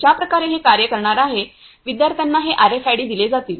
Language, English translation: Marathi, The way this is going to work is the students will be given these RFIDs